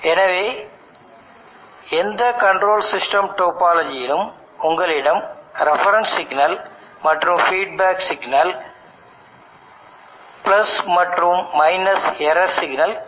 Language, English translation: Tamil, So in any control system topology you will have a reference signal and feedback signal + and – and there will be an error signal